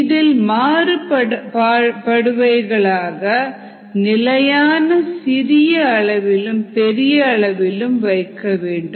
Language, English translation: Tamil, this should be maintained constant at the small scale as well as at the large scale